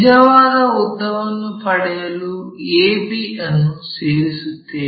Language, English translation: Kannada, And, join a to b to get true length